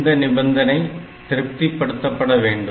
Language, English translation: Tamil, Now, this condition has to be satisfied